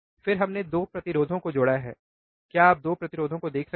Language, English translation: Hindi, Then we have connected 2 resistors, can you see 2 resistors